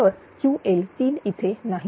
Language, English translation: Marathi, So, Q l 3 is not there